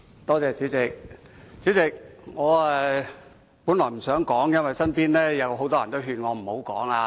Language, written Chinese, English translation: Cantonese, 代理主席，我本來不想發言，因為身邊有很多人勸我不要發言。, Deputy President originally I did not intend to speak because many people around me persuaded me not to speak